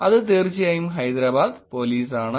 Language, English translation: Malayalam, That is Hyderabad Police of course